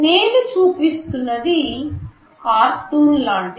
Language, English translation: Telugu, This is just like a cartoon I am showing